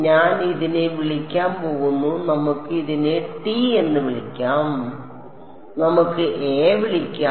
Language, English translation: Malayalam, I am going to call this let us call this T let us call a T 2